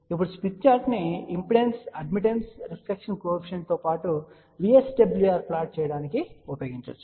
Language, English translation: Telugu, Now, smith chart can be use to plot impedance, admittance, reflection coefficient as well as VSWR